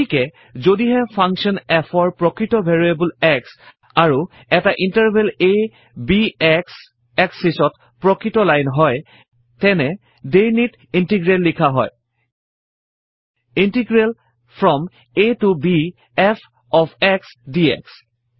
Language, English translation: Assamese, So, given a function f of a real variable x and an interval a, b of the real line on the x axis, the definite integral is written as Integral from a to b f of x dx